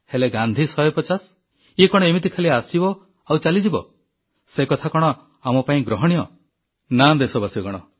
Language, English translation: Odia, But should Gandhi 150 just come & go; will it be acceptable to us